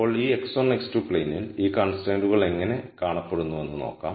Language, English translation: Malayalam, Now in this x 1 x 2 plane, let us look at how these constraints look